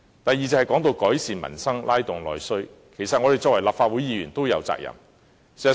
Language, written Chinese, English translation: Cantonese, 第二，說到改善民生，拉動內需，其實我們作為立法會議員也有責任。, Second speaking of improvement of the peoples livelihood and stimulating internal demand actually these are also duties required of us as Members of the Legislative Council